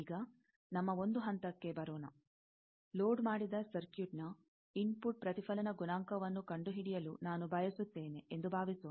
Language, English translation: Kannada, Now, let us come to our one point that, suppose, I want to find the input reflection coefficient of a loaded circuit